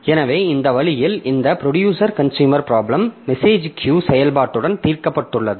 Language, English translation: Tamil, So, this way we have got this producer consumer problem solved with the message queue operation